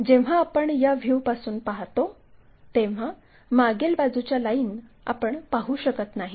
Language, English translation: Marathi, When we are looking from this view, the back side line we cannot really see